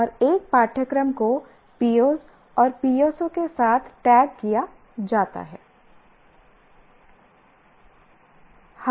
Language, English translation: Hindi, And a course is tagged with POs and PSOs it addresses